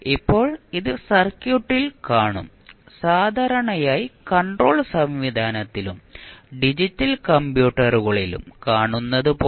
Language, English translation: Malayalam, Now, it will occur in the circuit generally you will see in the control system and digital computers also